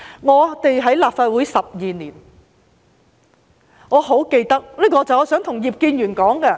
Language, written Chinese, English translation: Cantonese, 我在立法會12年，我很想對葉建源議員說一件事。, I have served in the Legislative Council for 12 years . I want to tell Mr IP Kin - yuen an incident